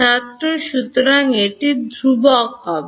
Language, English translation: Bengali, So, will have a constant